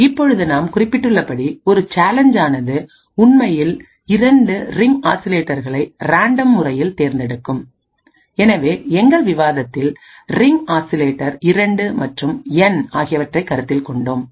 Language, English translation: Tamil, Now as we mentioned, what is done is that a challenge would actually pick 2 ring oscillators at random, so we had considered in our discussion the ring oscillator 2 and N